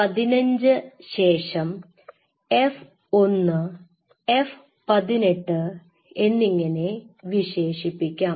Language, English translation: Malayalam, So, around I would say E15 and then F I would say F 18 likewise